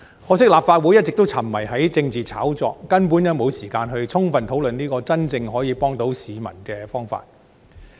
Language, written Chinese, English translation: Cantonese, 可惜立法會一直沉迷於政治炒作，根本沒時間充分討論這個可以真正幫助市民的方法。, Regrettably this Council with its incessant obsession with political hype has no time for a thorough discussion on such a measure that can truly help our people